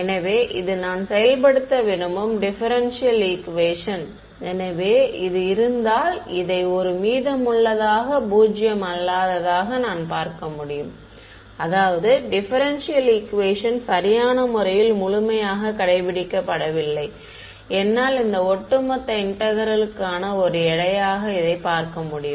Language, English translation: Tamil, So, this is the differential equation I want to enforce, so this is I can give view this as a residual if this is non zero; that means, the differential equation is not being fully obeyed correct, and I can view this as a weight for this overall integral